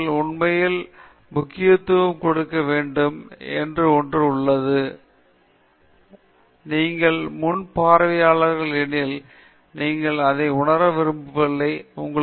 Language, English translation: Tamil, So, that’s something that you really have to pay importance to, because you have an audience in front of you, you don’t want them to feel that, you know, you are just wasting their time